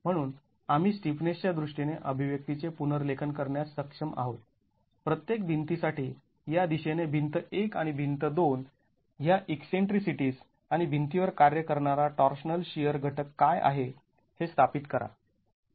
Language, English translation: Marathi, So we are able to rewrite the expression in terms of the stiffnesses, these eccentricities for each of the walls, wall 1 and wall 2 in a direction and establish what is the torsional shear component that is acting on the wall